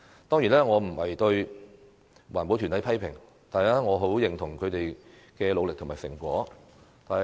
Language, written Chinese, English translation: Cantonese, 當然，我不是批評環保團體，我很認同他們的努力和成果。, Certainly I am not criticizing environmental groups and I highly recognize their efforts and achievements